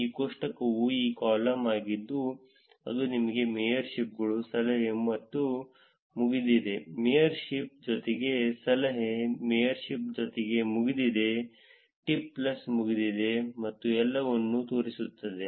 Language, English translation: Kannada, This table is this column it showing you features mayorships, tip and done, mayorship plus tip, mayorship plus done, tip plus done and all of them, right